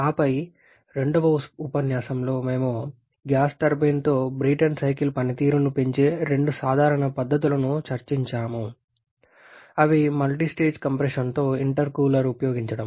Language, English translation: Telugu, And then in the second lecture we discussed two very common methods of enhancing the performance of a Brayton cycle with gas turbine which are the use of intercooler with multistage compression